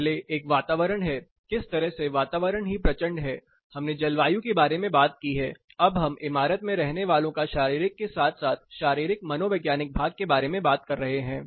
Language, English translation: Hindi, First is an environment how the environment itself is severe we talked about climate, now we are talking about occupant the physiological as well as physio psychological part of occupant comfort